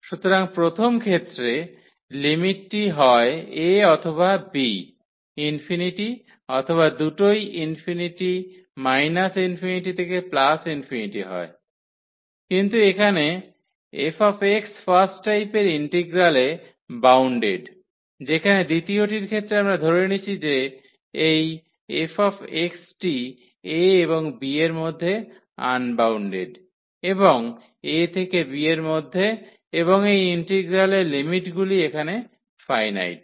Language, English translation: Bengali, So, in the first kind the limits either a or b is infinity or both are infinity minus infinity to plus infinity, but here the f x is bounded in the integral of first kind whereas, in the integral of the second kind we assume that this f x is unbounded between this a and b and these limits here the range of the integral is finite from this a to b